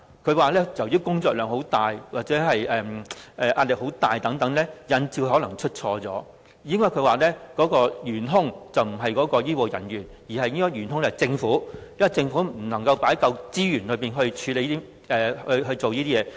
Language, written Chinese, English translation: Cantonese, 郭家麒議員表示，由於醫護人員的工作量和壓力很大等，引致他們出錯，事故的元兇並非醫護人員，而是政府，因為政府未能投放足夠資源處理這些問題。, Dr KWOK Ka - ki has said that the immense workload and intense pressure faced by medical staff are examples of factors that cause errors that the culprit is not the medical staff but the Government which has not deployed sufficient resources to handle these problems